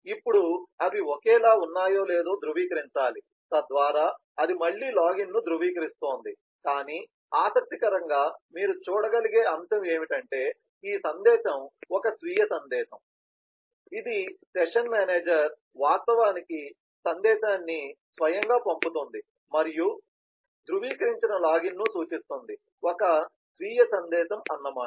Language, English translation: Telugu, now it has to verify that whether they are same, so that is verifying the login again, but this message interestingly you can see is a self message that is the session manager actually sends a message to itself and this smaller one denotes the verify login as a self message